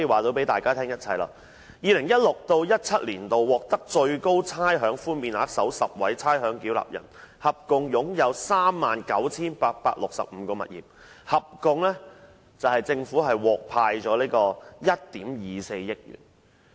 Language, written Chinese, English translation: Cantonese, 2016-2017 年度獲最高差餉寬免額的首10名差餉繳納人，合共擁有 39,865 個物業，獲政府退回的差餉合共1億 2,400 萬元。, In 2016 - 2017 the top 10 ratepayers who had received the highest rates concessions owned 39 865 properties combined and the total rates they had been rebated amounted to 124 million